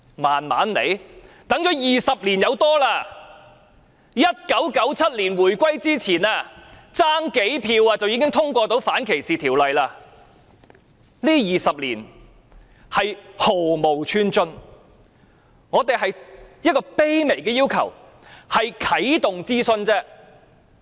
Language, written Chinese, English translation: Cantonese, 我們已等了20多年 ，1997 年回歸前，只差數票便可以通過反歧視條例，這20年是毫無寸進，我們只有一個卑微的要求，啟動諮詢。, We have been waiting for more than 20 years . Before the reunification in 1997 the anti - discrimination bill failed to get through because of a few votes short but then no progress has been made over the past 20 years . We have only one humble request that a consultation would be launched